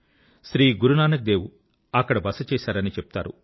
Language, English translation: Telugu, It is believed that Guru Nanak Dev Ji had halted there